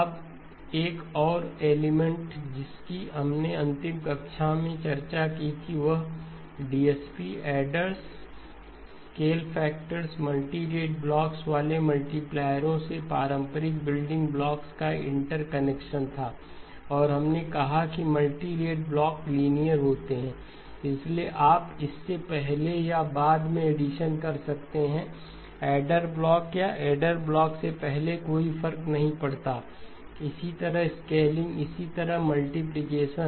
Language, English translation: Hindi, Now another element that we discussed in the last class was the interconnection of conventional building blocks from DSP, adders, scale factors, multipliers with the multirate blocks and we said that the multirate blocks are linear, so therefore you can do the addition before, after the adder block or before the adder block does not matter, similarly the scaling, similarly the multiplication